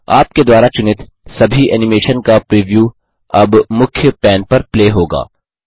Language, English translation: Hindi, The preview of all the animation you selected will now play on the Main pane